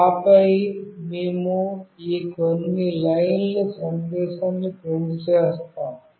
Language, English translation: Telugu, And then we will print these few lines of message